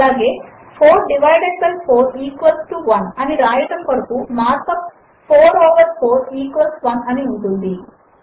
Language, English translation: Telugu, Similarly to write 4 divided by 4 equals 1, the mark up is#160: 4 over 4 equals 1